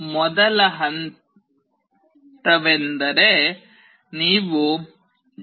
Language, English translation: Kannada, First step is you have to go to developer